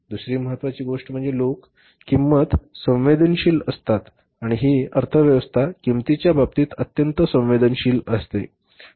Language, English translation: Marathi, Second important thing is people are price sensitive in this economy is highly price sensitive